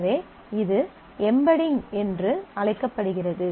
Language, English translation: Tamil, So, this is what is called embedding